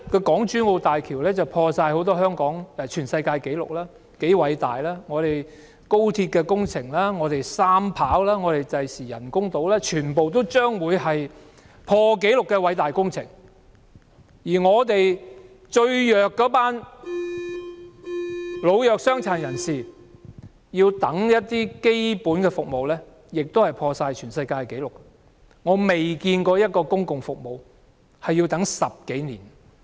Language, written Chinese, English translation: Cantonese, 港珠澳大橋打破了很多世界紀錄，是多麼的偉大；廣深港高速鐵路、機場第三條跑道、未來的人工島全都是破紀錄的偉大工程，而本港最弱勢的老弱傷殘要輪候一些基本服務亦打破了世界紀錄，我從未見過輪候一項公共服務要10多年時間。, How great it is . The Guangzhou - Shenzhen - Hong Kong Express Rail Link the third airport runway and the future artificial islands are all record - breaking mega - projects . But the elderly the vulnerable and the disabled who are the weakest groups in Hong Kong have also made a record in waiting for basic services